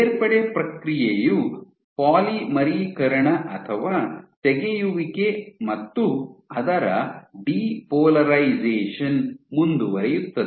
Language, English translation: Kannada, So, addition process of addition is polymerization or removal which is depolarization will continue